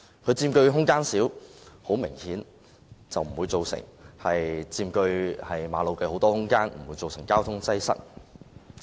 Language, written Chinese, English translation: Cantonese, 單車佔用的空間小，很明顯，它不會佔據馬路大量空間，不會造成交通擠塞。, The space occupied by bicycles is small . Obviously they will not take up a lot of space on roads and will not cause traffic congestion